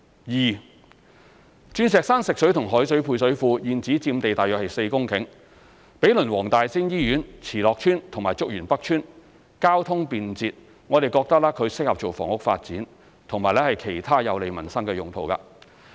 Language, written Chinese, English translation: Cantonese, 二鑽石山食水及海水配水庫現址佔地約4公頃，毗鄰黃大仙醫院、慈樂邨及竹園北邨，交通便捷，適合房屋發展，以及其他有利民生的用途。, 2 Diamond Hill Fresh Water and Salt Water Service Reservoirs covering around four hectares of land is adjacent to the Tung Wah Group of Hospitals Wong Tai Sin Hospital WTSH Tsz Lok Estate and Chuk Yuen North Estate . With good transportation network nearby the released site is suitable for housing development and other facilities beneficial to the community